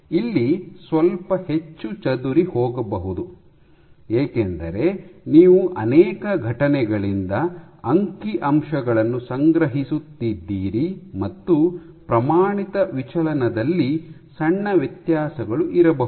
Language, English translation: Kannada, It might have a little bit more scattered because you are collecting the statistics from, many events and there might be small variations in the standard deviation